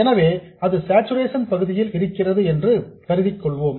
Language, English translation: Tamil, So, let me assume that this is in saturation region